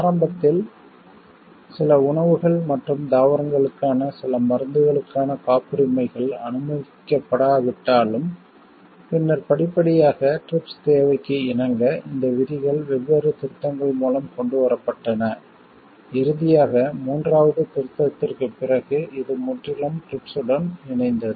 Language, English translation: Tamil, Initially though patents for some medicines, for some foods and plants were not allowed, but then gradually to get aligned with TRIPS requirement, these provisions were brought in through the different amendments and finally, after the third amendment, it got totally aligned with the TRIPS obligations